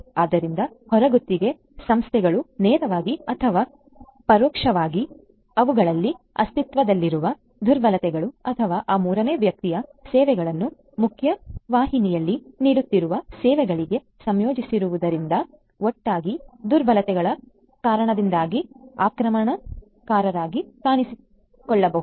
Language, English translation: Kannada, So, outsource firms might also pose as attackers directly or indirectly due to the vulnerabilities that might be in you know existing in them or the vulnerabilities that arise due to the integration of those third party services to the services that are being offered in the mainstream